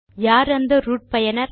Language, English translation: Tamil, Now who is a root user